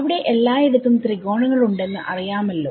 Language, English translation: Malayalam, So, there are you know triangles everywhere and so on